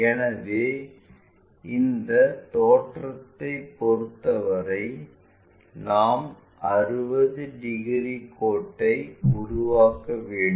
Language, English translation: Tamil, So, with respect to this view we have to construct a 60 degrees line